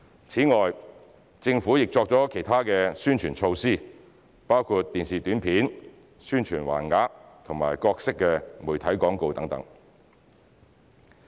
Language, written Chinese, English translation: Cantonese, 此外，政府亦作了其他宣傳措施，包括電視短片、宣傳橫額和各式媒體廣告等。, Besides the Government has also put in place other publicity measures including television Announcement of Public Interests banners and various media advertisements